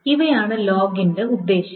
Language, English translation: Malayalam, So that's the purpose of the log